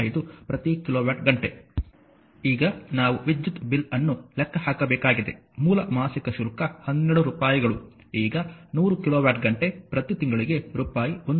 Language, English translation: Kannada, Now, we have to calculate the electricity bill so, base monthly charge is rupees 12 now 100 kilowatt hour at rupees 1